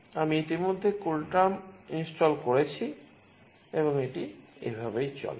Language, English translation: Bengali, I have already installed CoolTerm and this is how it goes